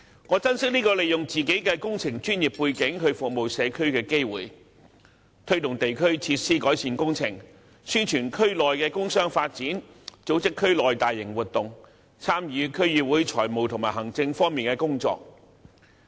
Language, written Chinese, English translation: Cantonese, 我珍惜這個讓我可以利用自己的工程專業背景服務社區的機會，推動地區設施改善工程，宣傳區內工商發展，組織區內大型活動，參與區議會財務和行政方面的工作。, I cherish this opportunity which enabled me to make use of my professional engineering knowledge to serve the community take forward improvement works on district facilities promote industrial and commercial developments in the district organize large - scale events in the district and participate in the financial and administrative work of the DC